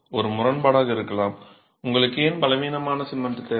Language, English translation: Tamil, It may sound like a paradox why would you need weak cement